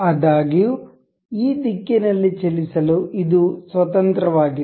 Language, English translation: Kannada, However, this is free to move in this direction